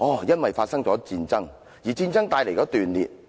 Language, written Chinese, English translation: Cantonese, 因為發生了戰爭，而戰爭帶來了斷裂。, Because of wars and the resultant disconnection